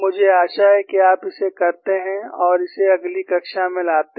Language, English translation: Hindi, I hope that you do it and bring it in the next class